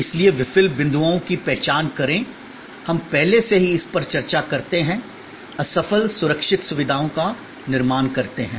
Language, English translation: Hindi, So, identify fail points, we discuss this already, creating of the fail safe facilities